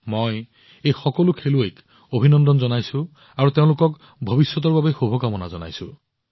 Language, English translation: Assamese, I also congratulate all these players and wish them all the best for the future